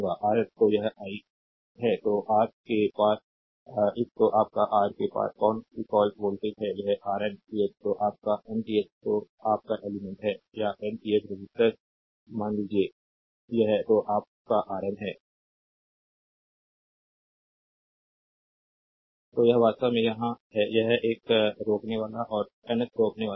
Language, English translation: Hindi, Up to Rn so, this is i so, across the across your ah what you call voltage across this your R ah this is Rnth ah your nth your ah element, right or nth resistor suppose this is your Rn, right